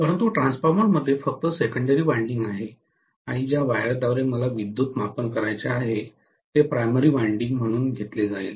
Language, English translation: Marathi, But the transformer has only a secondary winding and the wire through which I want to measure the current itself will be taken as the primary winding, right